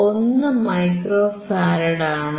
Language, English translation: Malayalam, 1 micro farad